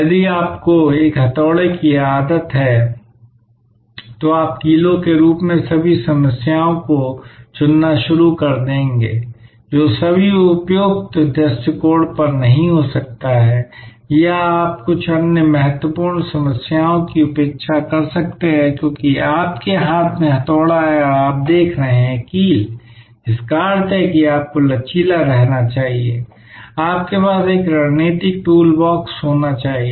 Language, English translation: Hindi, If you get used to a hammer, then you will start choosing all problems as nails, which may not be at all the appropriate approach or you might neglect some other very important problems, because you have the hammer in your hand and you are looking for nails, which means that you must remain flexible, you must have a strategic toolbox